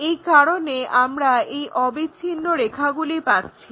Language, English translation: Bengali, So, that is the reason we have this continuous lines